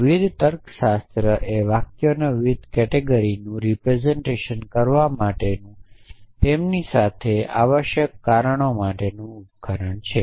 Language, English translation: Gujarati, Various logics are device to represent various categories of sentences and then of course,, reason with them essentially